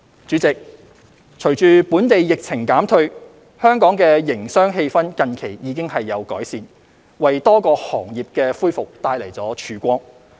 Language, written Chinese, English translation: Cantonese, 主席，隨着本地疫情減退，香港的營商氣氛近期已有改善，為多個行業的恢復帶來曙光。, President with the easing of the local epidemic the business sentiment in Hong Kong has recently improved bringing a ray of hope for the recovery of many sectors